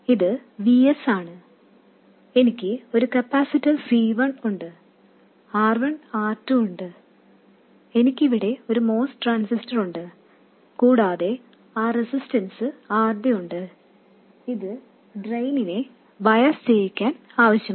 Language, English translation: Malayalam, This is VS and I have a capacitor C1, R1 and R2 and I have my most transistor here and I have this resistance RD which is required to bias the drain